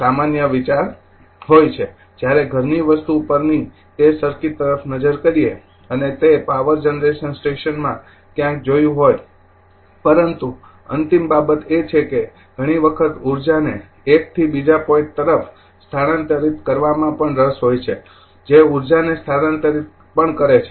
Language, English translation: Gujarati, This is this is common idea you have when is look at that circuit at house hold and you might have seen somewhere in that power generic station right But ultimate thing is that you often interested in transferring energy from one point to another that is also your transferring energy